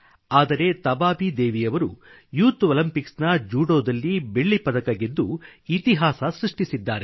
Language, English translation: Kannada, But Tabaabi Devi created history by bagging the silver medal at the youth Olympics